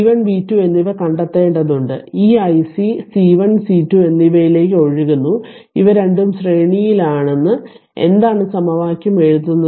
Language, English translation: Malayalam, So, you have to find out v 1 and v 2 right and this current i C is showing to both to your for C 1 and C 2 both are in series so, both C 1 and C 2